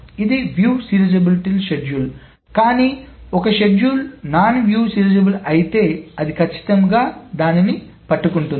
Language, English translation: Telugu, So it may miss a view serializable schedule but if a schedule is non viewed serializable, it will surely catch it